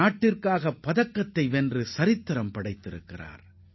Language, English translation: Tamil, And she has created history by winning a medal for the country